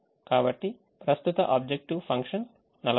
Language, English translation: Telugu, so the present objective function is forty six